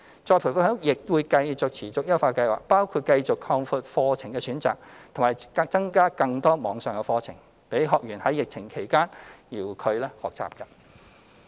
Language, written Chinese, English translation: Cantonese, 再培訓局亦會持續優化計劃，包括繼續擴闊課程選擇，並增加更多網上課程，供學員在疫情期間遙距學習。, ERB will also continue to optimize the scheme by broadening programme choices and adding more online courses so that trainees can pursue distance - learning during the epidemic